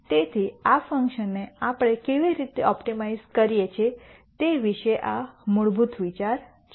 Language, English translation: Gujarati, So, this is the basic idea about how we optimize this function